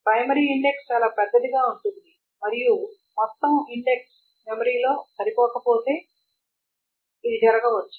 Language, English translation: Telugu, So, this may happen if the primary index is too large and the entire index and does not fit into memory